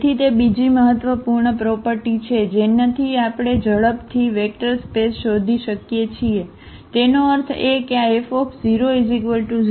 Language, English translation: Gujarati, So, that is another important property which we can quickly look for the vector spaces; that means, this F 0 must be equal to 0